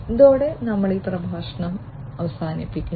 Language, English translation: Malayalam, So, with this we come to an end of this lecture